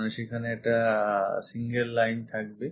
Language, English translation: Bengali, So, that one single line will be there